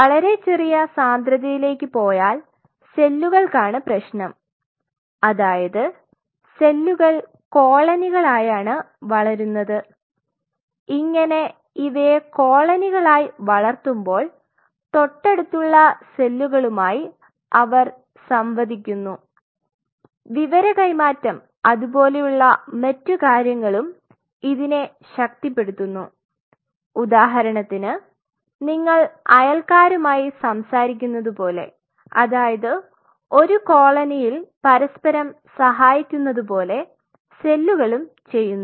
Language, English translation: Malayalam, So, if you go very low density the problem is for the cells to so cells they grow in colonies and when we grow in a colony we interact with our neighbors and you know in the information transfer and all those kinds of stuff which happens which is strengthened say for example, your neighbor tells you, you know there is a there is this problem happening